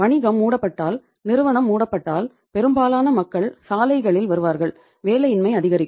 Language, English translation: Tamil, If the company is closed if the business concern is closed then most of the people will come on the roads and unemployment will increase